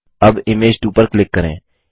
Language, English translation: Hindi, Now click on Image 2